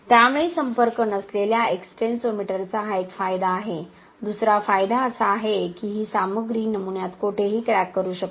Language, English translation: Marathi, So that is one of the advantages with a non contact type extensometer, the other advantage is that this material can crack anywhere in the specimen